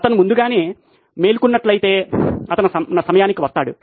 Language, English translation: Telugu, If he had woken up early, he would be on time